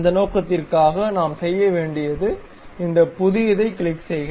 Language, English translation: Tamil, For that purpose, what we have to do, click this new